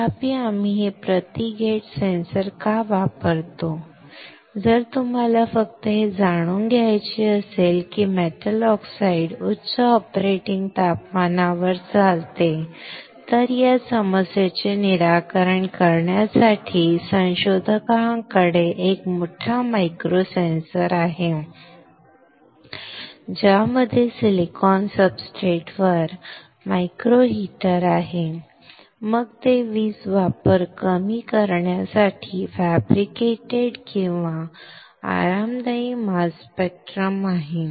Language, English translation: Marathi, However, why we use this per gate sensor; if you just want to know that metal oxide operates at high operating temperature, to solve this problem researchers have a bigger micro sensor, with micro heater on silicon substrate whether it is a fabricated or icy comfortable mass spectrum to reduce the power consumption